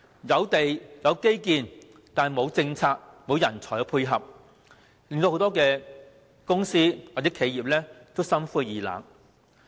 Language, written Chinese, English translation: Cantonese, 有地、有基建卻沒有政策及人才配合，以致很多公司或企業感到心灰意冷。, Despite the availability of land and infrastructures there is a lack of supporting policies and talent many companies and enterprises are thus frustrated